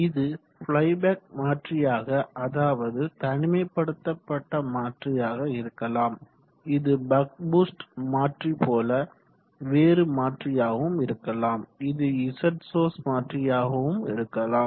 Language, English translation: Tamil, It could be a play back converter it could be isolated converter it could be a buck boost converter so on and so, it could be a z source converter